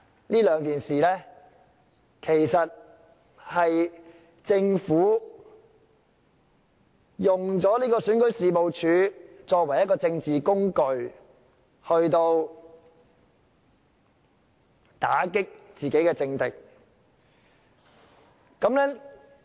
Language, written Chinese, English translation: Cantonese, 其實，從這兩種情況可見，政府是利用選舉事務處作為政治工具，以打擊自己的政敵。, In fact from these two situations we can see that the Government has used REO as a political tool to attack its political enemies